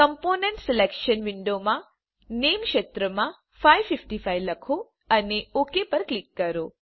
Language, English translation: Gujarati, In the Name field of component selection window, type 555 and click on Ok